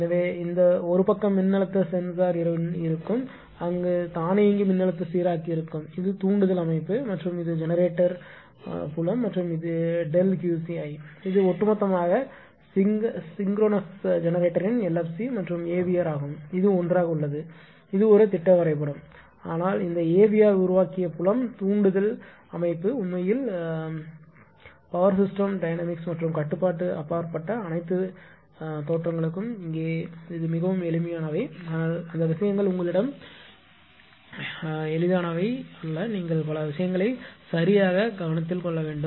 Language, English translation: Tamil, So, and this one these side voltage sensor will be there automatic voltage regulator will be there and this is your the excitation system and this is that your generator field and this is delta Qci, right, this is overall there schematic LFC and AVR of a synchronous generator this is together this is a schematic diagram , but this AVR generated field excitation system that is actually ah that is comes actually power system dynamics and control that beyond the scope all the looks here very simple there right, but those things are not easy you have to you have to consider so many things right